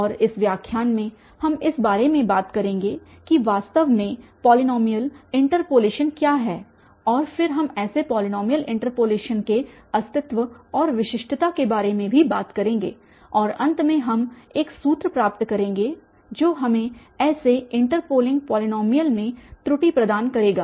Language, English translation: Hindi, And in this lecture we will be talking about what is actually the polynomial interpolation and then we will be also talking about the existence and the uniqueness of such polynomial interpolation and finally we will derive a formula which will provide us the error in such interpolating polynomial